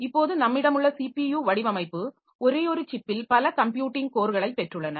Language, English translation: Tamil, So, CPU design that we have now, so they have got multiple computing cores on a single chip